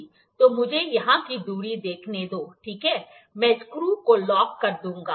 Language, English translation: Hindi, So, let me see the distance here, ok, I will lock the screws